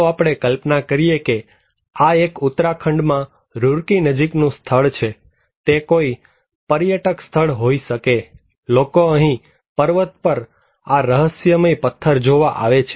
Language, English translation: Gujarati, Let us imagine that this is a place near Roorkee in Uttarakhand; it could be a tourist spot, people coming here watching this mystic stone in a mountain well now, considering this slide is it risky